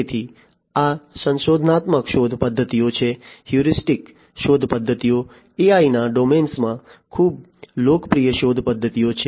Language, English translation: Gujarati, So, these are the heuristic search methods; heuristics search methods are quite popular search methods in the domain of AI